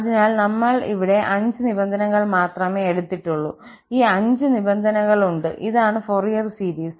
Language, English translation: Malayalam, So, we have taken here just 5 terms and having these 5 terms, this is the Fourier series